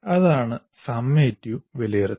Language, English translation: Malayalam, That is summative valuation